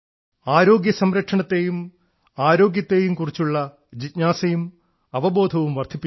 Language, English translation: Malayalam, Today there has been an increase in curiosity and awareness about Healthcare and Wellness